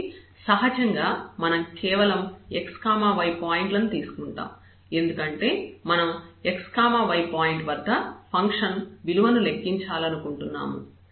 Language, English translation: Telugu, So, naturally we will take just the x y points, because we want to compute the value of the function at the x y point